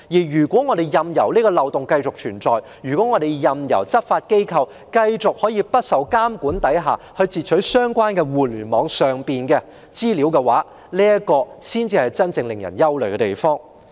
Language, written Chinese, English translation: Cantonese, 如果我們任由漏洞繼續存在，任由執法機構繼續在不受監管下截取相關互聯網通訊，這才是真正叫人憂慮的問題。, If we allow the loophole to persist and the law enforcement agencies to continue to intercept communications on the Internet without supervision this issue is truly worrying